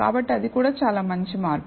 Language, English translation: Telugu, So, that is also pretty good jump